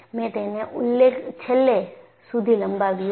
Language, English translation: Gujarati, Ihave not extended it till the end